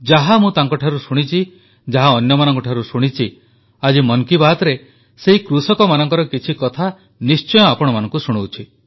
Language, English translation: Odia, What I have heard from them and whatever I have heard from others, I feel that today in Mann Ki Baat, I must tell you some things about those farmers